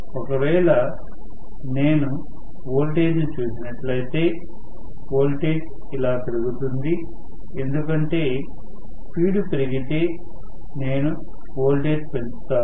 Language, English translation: Telugu, So, multiple variable we are drawing if I look at the voltage the voltage will rise like this, because as the speed rises I am going to increase the voltage